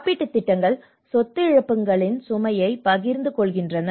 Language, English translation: Tamil, Insurance schemes spread the burden of property losses